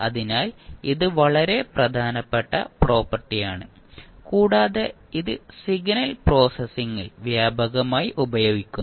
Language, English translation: Malayalam, So, this is very important property and we use extensively in the signal processing